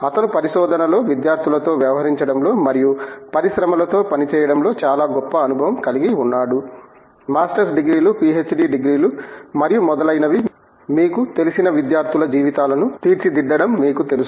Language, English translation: Telugu, He has very rich experience in research, in dealing with students and dealing with working with industries; you know shaping students’ lives as they go about through their you know Masters Degrees, PhD Degrees and so on